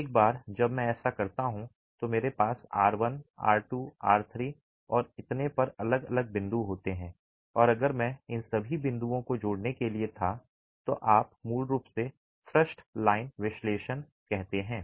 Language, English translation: Hindi, Once I do that I have different points estimated R1, R2, R3 and so on and if I were to connect all these points you are basically doing what is called a thrust line analysis